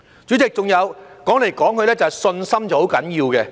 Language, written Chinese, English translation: Cantonese, 主席，還有，說來說去，信心是很重要的。, President besides confidence is after all of great importance